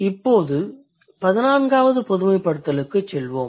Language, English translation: Tamil, Now let's move to the 14th generalization